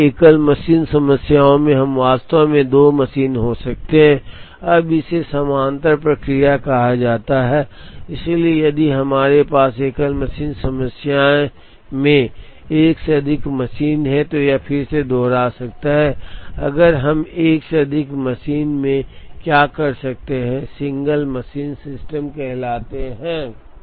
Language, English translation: Hindi, Sometimes in single machine problems, we could have actually, 2 machine, now it is called parallel processes, so if we have more than one machine in a single machine problem, it may again repeat, if we could have more than one machine in what are called single machine systems